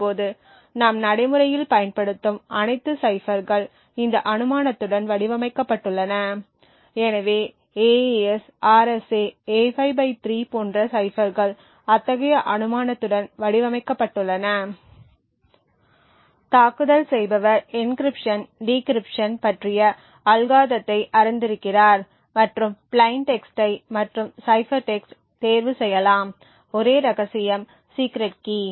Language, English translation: Tamil, Now all ciphers that we use today in practice are designed with this assumption so ciphers such as the AES, RSA, A5/3 and so on are designed with the assumption that the attacker knows the complete algorithm for encryption, decryption and can choose plain text and cipher text and the only secret is the secret key